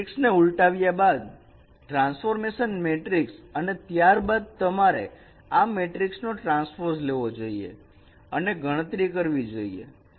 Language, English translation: Gujarati, So after performing the inversion of a matrix, transformation matrix, then you have to take the transpose of this matrix and perform the computations